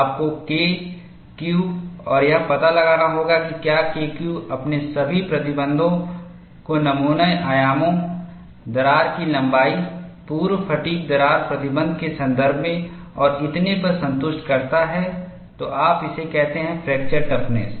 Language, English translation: Hindi, You have to find out K Q and if K Q satisfies all your restrictions, in terms of specimen dimension, crack length, pre fatigue cracking restriction so on and so forth, then you call it as fracture toughness